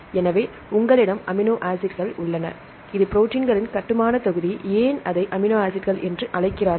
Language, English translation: Tamil, So, you have the amino acids it is a building block of proteins, why it is called the amino acids